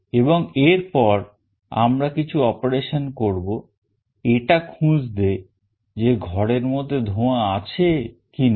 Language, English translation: Bengali, And then we will do some kind of operation to find out whether there is smoke inside the room or not